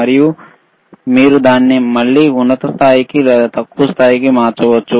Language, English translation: Telugu, And you can again change it to high level or low level